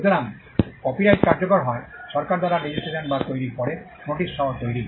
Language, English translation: Bengali, So, copyright comes into effect either upon registration by the government or upon creation, creation with the notice